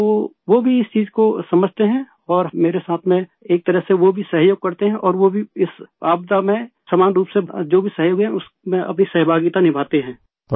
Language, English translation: Urdu, So they too understand this thing and in a way they also cooperate with me and they also contribute in whatever kind of cooperation there is during the time of this calamity